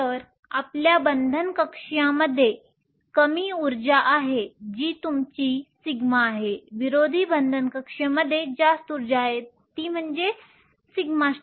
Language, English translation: Marathi, So, your bonding orbital has a lower energy that is your sigma, anti bonding orbital has a higher energy that is sigma star